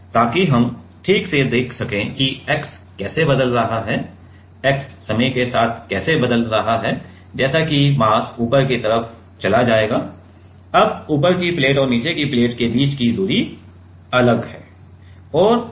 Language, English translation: Hindi, So, that we can see exactly how the x is changing right, how the x is changing with time; as the mass has moved to the like the upper side, now the distance between the top plate and the bottom plate is different right